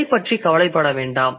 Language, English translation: Tamil, Don't worry about it